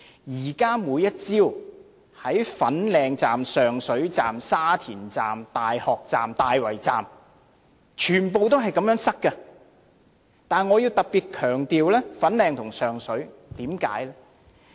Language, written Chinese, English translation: Cantonese, 現在每天早上的粉嶺站、上水站、沙田站、大學站、大圍站，全部都是這麼擠塞，但我要特別強調粉嶺和上水。, At present at Fanling Station Sheung Shui Station Sha Tin Station University Station and Tai Wai Station they are equally crowded every morning . But I have to especially emphasize Fanling Station and Sheung Shui Station